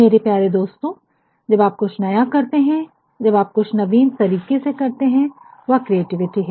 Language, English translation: Hindi, My dear friends, when you do anything new, when you do anything in an innovative manner that is creativity